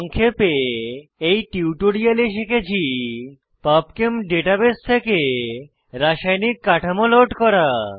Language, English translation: Bengali, Lets summarize In this tutorial we have learnt to * Load chemical structures from Pubchem data base